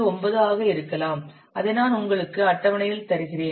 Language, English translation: Tamil, 9 something that I will give you in the table